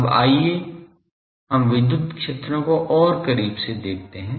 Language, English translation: Hindi, Now, let us come to the let us come to look at electric fields more closely